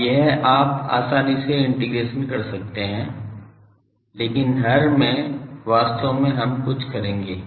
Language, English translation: Hindi, Now, this you can easily integrate but in the denominator actually we will do something